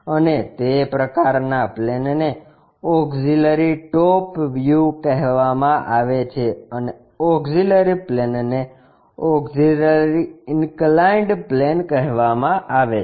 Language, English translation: Gujarati, And, that kind of plane is called auxiliary top view and the auxiliary plane is called auxiliary inclined plane